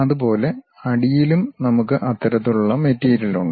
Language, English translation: Malayalam, Similarly, at bottom also we have that kind of material